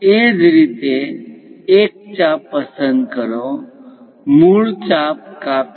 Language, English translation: Gujarati, Similarly, pick an arc; cut the original arc